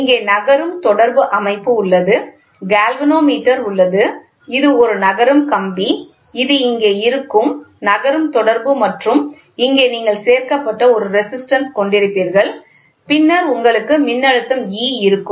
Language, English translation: Tamil, So, sliding contact is the here, there is the galvanometer so, this is a wire sliding wire, this is the sliding contact which is here and here you will have a resistance which is added and then you will have voltage which is applied E